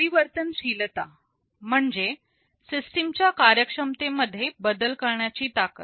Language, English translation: Marathi, Flexibility means the ability to change the functionality of the system